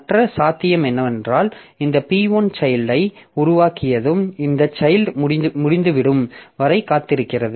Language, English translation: Tamil, Other possibility is that once this P1 has created the child, it waits for this child to be over